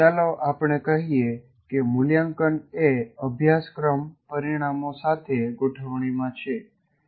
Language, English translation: Gujarati, So let's say we assume assessment is in alignment with the course outcomes